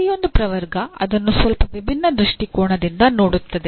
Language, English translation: Kannada, Each taxonomy will look at it from a slightly different perspective